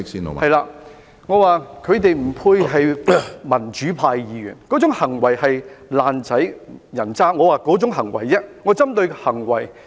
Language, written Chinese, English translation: Cantonese, 我指他們不配為民主派議員，那種行為是"爛仔"、人渣的行為，我是針對行為。, I mean they are undeserving of being Members of the democratic camp . Such behaviour is typical among hooligans and scum and I am referring to the behaviour